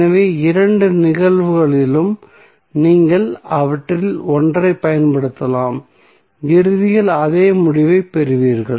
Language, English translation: Tamil, So, in both of the cases you can use either of them and you will get eventually the same result